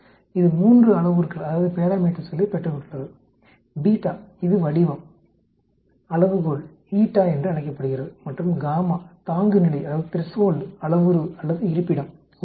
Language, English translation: Tamil, It has got three parameters: Beta it is called Shape, Scale it is called eta and gamma threshold parameter or location actually